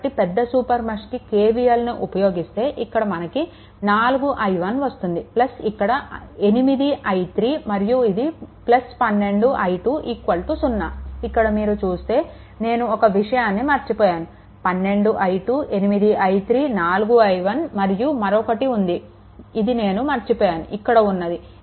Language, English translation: Telugu, So, this larger super mesh you apply KVL this is 4 i 1 this is 4 i 1 plus your this is your 8 i 3, right and plus this is your 12 i 2 right if you look into if you look into that is equal to your is 0 right 4 i 1 A one thing I have missed 12 i 2, 8 i 3, 4 i 1, another one, I have missed right; that is your this